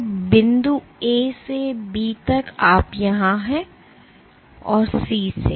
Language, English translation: Hindi, So, from point A to B you are here and from C